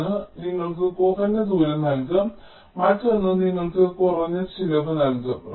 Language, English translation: Malayalam, one will give you minimum radius, other will give you minimum cost